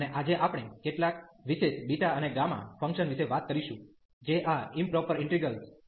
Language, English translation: Gujarati, And today we will be talking about some special functions beta and gamma which fall into the class of these improper integrals